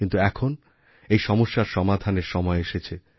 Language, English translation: Bengali, Now the time has come to find a solution to this problem